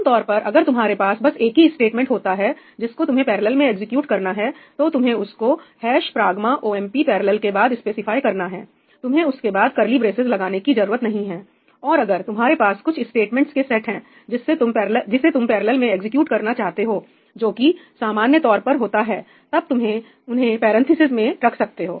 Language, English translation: Hindi, typically if you have just one statement which is to be executed in parallel, you just specify that after ‘hash pragma omp parallel’, you do not need to put these curly braces; and if you have a set of statements that you want to execute in parallel which is generally the case then you put them in parentheses